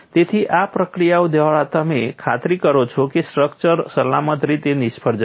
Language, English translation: Gujarati, So, by these procedures you ensure the structure would fail safely